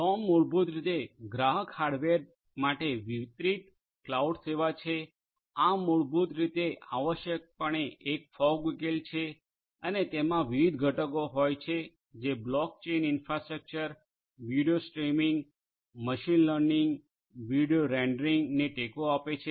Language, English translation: Gujarati, Sonm, is basically a distributed cloud service for customer hardware, this is basically essentially it is a fog solution and they have different components supporting block chain infrastructure, video streaming, machine learning, video rendering